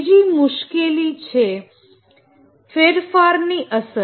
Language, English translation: Gujarati, The second problem is change impact